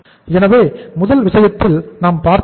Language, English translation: Tamil, So in the first case what we have seen